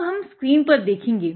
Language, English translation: Hindi, Now, we will be looking at the screen